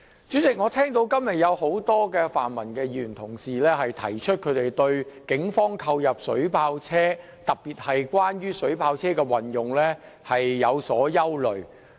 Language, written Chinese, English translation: Cantonese, 主席，我今天聽到多位泛民議員表達對於警方購入水炮車的憂慮，特別是對水炮車如何運用感到擔憂。, President today I heard many pan - democratic Members expressing their worries with regard to the Polices acquisition of water cannon vehicles and in particular their worries about how the water cannon vehicles would be used